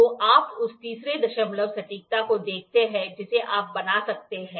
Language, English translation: Hindi, So, you see to that third decimal accuracy you can build